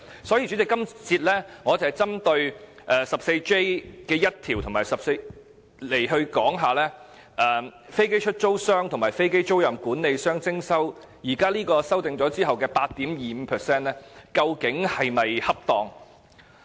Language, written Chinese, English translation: Cantonese, 所以，主席，我今節會針對第 14J1 條，討論究竟經修訂後，向飛機出租商和飛機租賃管理商徵稅 8.25% 的做法是否恰當。, This 20 should then be multiplied by 8.25 % . Thus the projected tax payment for a profit of 100 is only 1.65 in accordance with the formula . Chairman in this session I will focus on clause 14J1 to discuss the appropriateness of the amendment of taxing aircraft lessors and aircraft leasing managers at a rate of 8.25 %